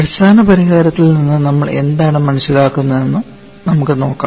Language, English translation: Malayalam, Let us see what all we understand from the basic solution here